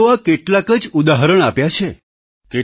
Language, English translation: Gujarati, I have mentioned just a few examples